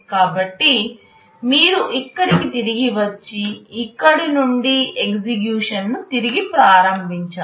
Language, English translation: Telugu, So, you return back here and resume execution from here